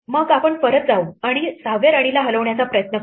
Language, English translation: Marathi, Then we go back and try to move the 6th queen